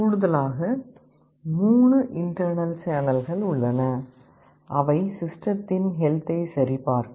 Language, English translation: Tamil, And in addition there are 3 internal channels that are meant for checking the health of the system